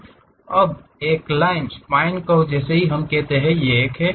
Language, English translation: Hindi, Now, there is a line a spine curve which we call that is this one